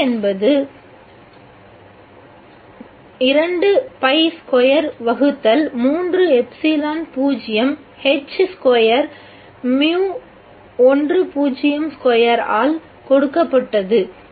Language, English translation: Tamil, B is given by 2 pi square by 3 epsilon h squared mu 1 0 square